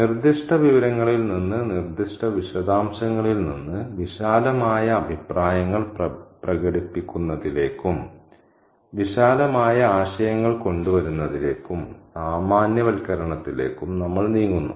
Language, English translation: Malayalam, In inductive reasoning we move from specifics, from specific information, from specific detail to making broad comments, coming up with broad ideas and making generalizations from these specific information